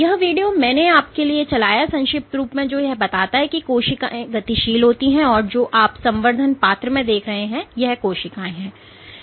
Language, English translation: Hindi, So, I had played this video briefly to tell you that cells are dynamic and this is what you see in a culture dish, so each of these cells